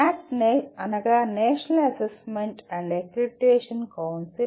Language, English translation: Telugu, NAAC is National Assessment and Accreditation Council